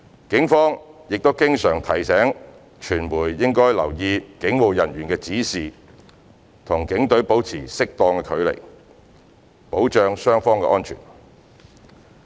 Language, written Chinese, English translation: Cantonese, 警方亦經常提醒傳媒應留意警務人員的指示，與警隊保持適度距離，保障雙方安全。, The Police have also kept reminding reporters that they should pay attention to police instructions and maintain appropriate distance from the police officers to ensure the safety of both sides